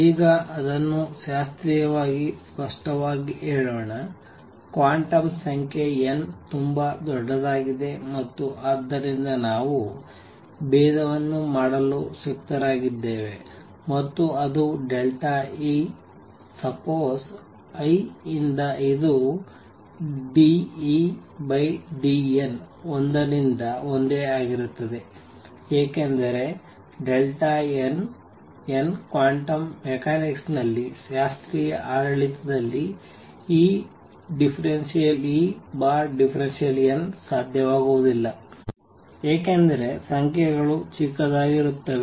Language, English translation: Kannada, We have been doing it, but now let us explicitly say it classically, the quantum number n is very large and therefore, we can afford to do differentiation and which is the same as delta e suppose i, this d E by d n by one because delta n which is one is much much much much smaller than n in the classical regime in quantum mechanics this d E by d n would not be possible because numbers are small